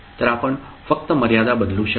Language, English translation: Marathi, So, you can simply change the limit